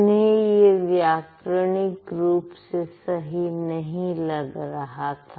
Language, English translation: Hindi, Do you think it's grammatically correct